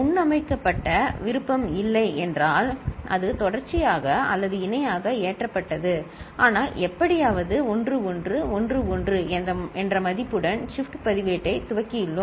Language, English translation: Tamil, If there was no preset option, then it was serially or parallelly loaded, but somehow we have initialized the shift register with a value 1 1 1 1 ok